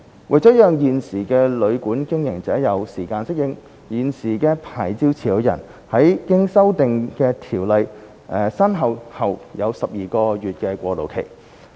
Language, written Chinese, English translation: Cantonese, 為了讓現時的旅館經營者有時間適應，現時的牌照持有人在經修訂的《條例》生效後有12個月過渡期。, In order to allow time for hotel and guesthouse operators to adapt to changes a transitional period of 12 months will be put in place after the commencement of the amended Ordinance for existing licensees